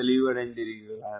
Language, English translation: Tamil, is it clear, right